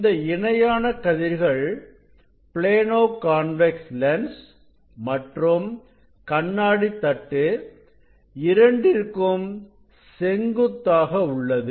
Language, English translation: Tamil, this perpendicular rays and their parallel perpendicular to the Plano convex lens with glass plate